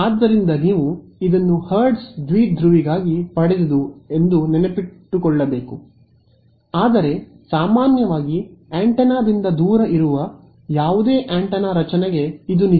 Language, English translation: Kannada, So, you should keep this in mind this have derived for hertz dipole, but this is true for any antenna structure in general far away from the antenna